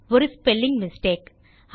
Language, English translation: Tamil, a spelling mistake...